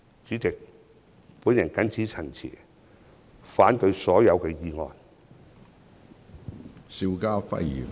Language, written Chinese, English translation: Cantonese, 主席，我謹此陳辭，反對所有議案。, President with these remarks I oppose all the motions